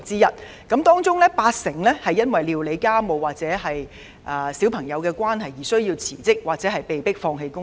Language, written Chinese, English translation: Cantonese, 在這些女性當中，佔了八成人是因為須料理家務或照顧小孩而要辭職或被迫放棄工作。, Of these women 80 % are forced to quit their jobs because they have to take care of household chores or their own children